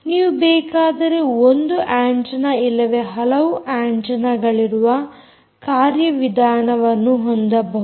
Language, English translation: Kannada, you can have mechanisms where you can use single antenna or you can use multiple antenna